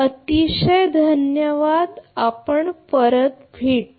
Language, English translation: Marathi, Thank you very much, we will be back